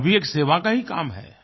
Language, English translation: Hindi, This is also a kind of service